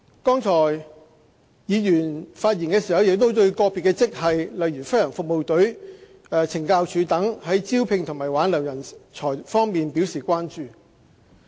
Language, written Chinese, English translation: Cantonese, 剛才議員發言時對個別職系，例如政府飛行服務隊和懲教署等，在招聘和挽留人才方面表示關注。, Just now Members have shown their concerns in the recruitment and retention of staff in specific grades such as the Government Flying Service GFS and Correctional Services Department CSD and so on